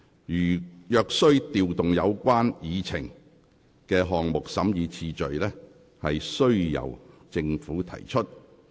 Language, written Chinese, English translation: Cantonese, 如須調動議程項目的審議次序，須由政府提出要求。, If it is necessary to rearrange the items of business on the Agenda the request must come from the Government